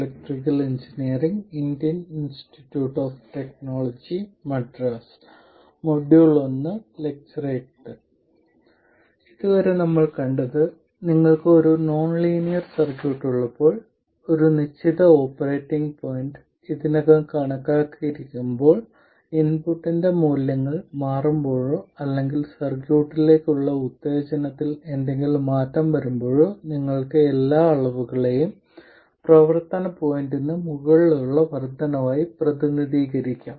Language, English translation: Malayalam, So, far we have seen that when you have a nonlinear circuit and you have a certain operating point already computed, when the values of the input change or when there is some change in the stimulus to the circuit, you can represent all quantities as increments over the operating point